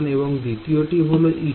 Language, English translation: Bengali, Yeah, the first equation is e 1